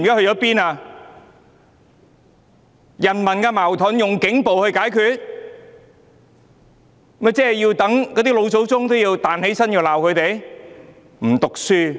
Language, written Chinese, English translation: Cantonese, 人民內部矛盾竟用警暴解決，連老祖宗也要彈起來罵他們。, The use of police brutality to resolve contradictions among the people would make their forefathers rise from their graves and scold them